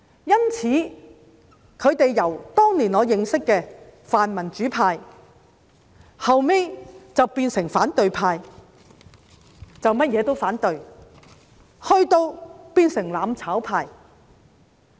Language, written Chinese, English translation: Cantonese, 因此，他們由我當年認識的泛民主派，後來變成了反對派，甚麼事情也要反對，以至變成"攬炒派"。, Hence they have changed from the pro - democratic camp that I recognized back then to the opposition camp which opposed to whatever proposal from the Government and then to the mutual destruction camp now